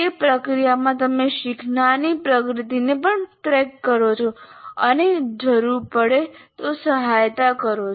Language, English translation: Gujarati, And then in the process you also track the learners progress and provide support if needed